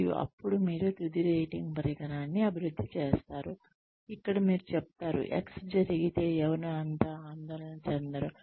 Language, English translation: Telugu, And, then you develop a final rating instrument, where you say that, if X happens, one should not be so worried